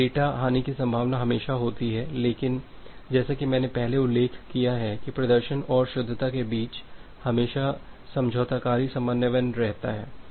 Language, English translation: Hindi, There is always a possibility of data loss, but as I have mentioned earlier there is always a trade off between the performance and the correctness